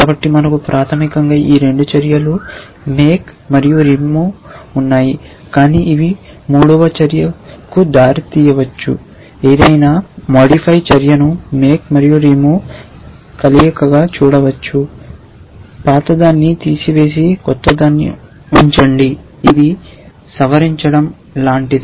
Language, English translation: Telugu, So, we have the so basically we have this 2 actions make and remove, but these can lead to a third action called, any modify action can be seen as a combination of make and remove, remove the old one and put in a new one, it is like modify